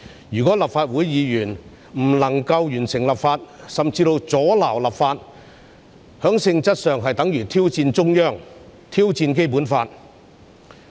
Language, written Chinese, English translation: Cantonese, 如果立法會議員不能完成立法，甚至阻撓立法，在性質上，是等於挑戰中央政府，挑戰《基本法》。, If Legislative Council Members fail to complete and even obstruct the legislation it is in nature tantamount to challenging the Central Government and the Basic Law